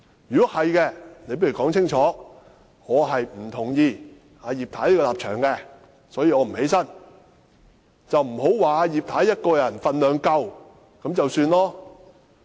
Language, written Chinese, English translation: Cantonese, 如果是這樣，你倒不如說清楚：我不同意葉太的立場，所以我不站起來；而不要說葉太一個人分量已經足夠。, If that is the case you should say clearly that you disapprove of Mrs IPs position and will not stand up rather than saying that Mrs IP herself is already a political heavyweight